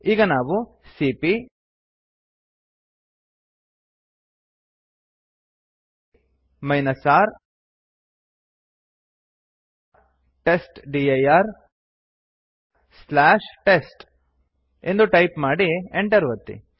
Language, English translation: Kannada, Now we type cp R testdir/ test and press enter